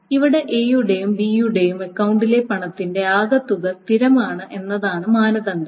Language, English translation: Malayalam, Here the criterion is that the total amount of money in A's and B's account is constant